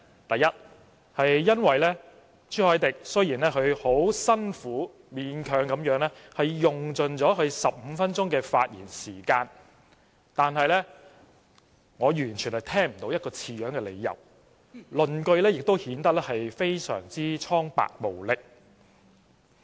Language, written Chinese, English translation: Cantonese, 第一，因為朱凱廸議員雖然很辛苦、勉強地用盡其15分鐘發言時間，但我完全聽不到一個合理的理由，論據也顯得非常單薄無力。, Firstly although Mr CHU Hoi - dick has tried very hard and managed to use up his 15 - minute speaking time I did not hear any valid reason at all and his arguments sound untenable and weak